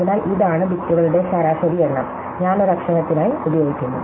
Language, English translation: Malayalam, So, this is the average number of bits, I use for a letter